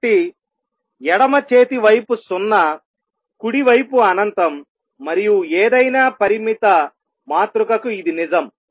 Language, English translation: Telugu, So, left hand side is 0, right hand side is infinity and that is true for any finite matrix